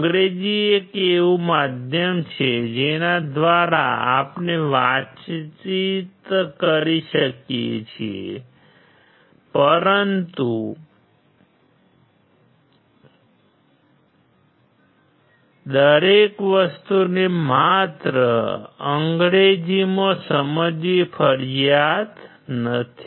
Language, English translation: Gujarati, English is one medium through which we can communicate, but it is not a mandatory thing to understand everything only in English